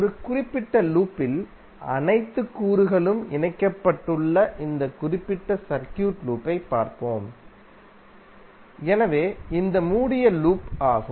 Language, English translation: Tamil, Let us see this particular circuit where all elements are connected in in in a particular loop, so this loop is closed loop